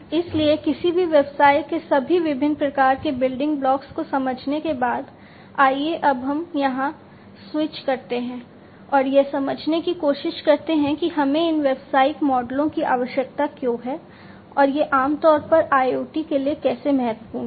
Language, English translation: Hindi, So, having understood all these different types of building blocks of any business; let us now switch our here, and try to understand that why we need these business models, and how they are important for IoT, in general